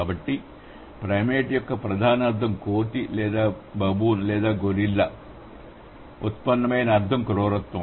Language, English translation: Telugu, So, primate whose core meaning is ape or baboon or gorilla, the derived meaning has been Britishness